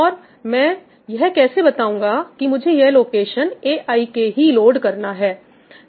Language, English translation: Hindi, And how do I specify that I want to load location aik